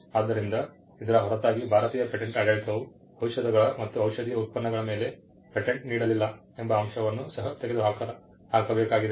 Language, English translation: Kannada, So, apart from this, the fact that the Indian patent regime did not grant product patents for drugs and pharmaceuticals was also to be done away with